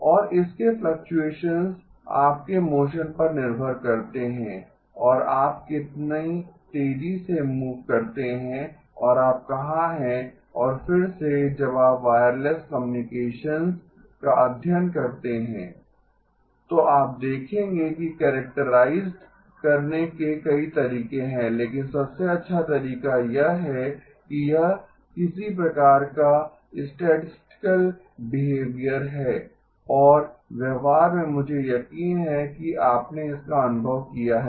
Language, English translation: Hindi, And its fluctuations dependent on your motion and how fast you move and where you are and again when you study wireless communications, you will see that there are several ways to characterize but the best way is to say that this has got some sort of a statistical behavior and in practice I am sure you have experienced it